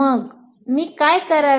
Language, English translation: Marathi, So what do I do